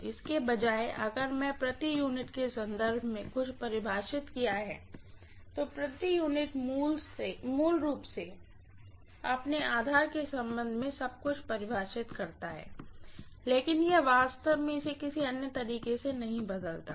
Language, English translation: Hindi, Rather than this if I had defined everything in terms of per unit, the per unit basically define everything with respect to its own base, it doesn’t really change it in any other way